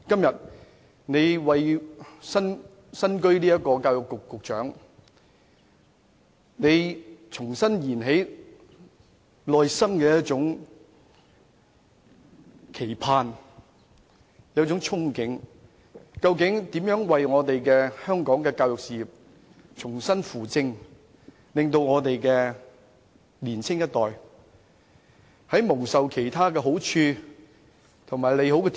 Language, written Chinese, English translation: Cantonese, 作為教育局局長，他重新燃起內心的期盼和憧憬，希望重新扶正香港的教育事業，好好培育年輕一代，培育他們成為人才，幫他們踏上正途。, As the Secretary for Education he has reignited the expectations and something that he has longed for in his heart . He hoped that he could lead the education in Hong Kong back to the right track and properly nurture the younger generation helping them become useful citizens and guiding them onto the right path